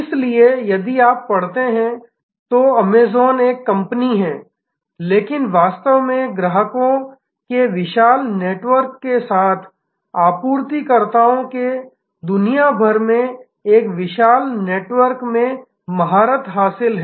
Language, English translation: Hindi, So, Amazon if you study is a company which is a company, but it is actually mastering a huge network across the globe of suppliers with a huge network of customers